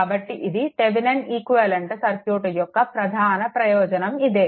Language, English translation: Telugu, So, this is the Thevenin equivalent, Thevenin equivalent circuit